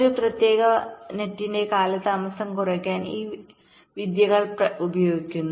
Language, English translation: Malayalam, this techniques are used to reduce the delay of a particular net